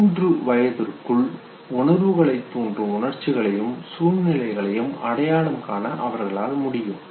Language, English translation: Tamil, By the time they are three years old they can identify emotions and situations that provoke emotions